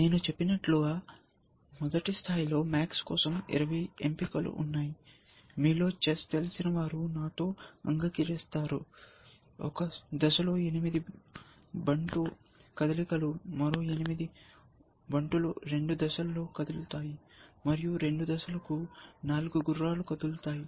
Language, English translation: Telugu, As I said, at a max first level, there are 20 choices, those of you know chess will agree with me, eight pawns eight pawn moves with one step, another eight pawn moves with two steps, and four knight moves for the two knight essentially